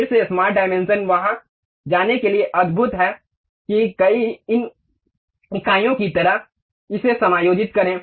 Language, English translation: Hindi, Again our smart dimension is wonderful to go there, adjust that to something like these many units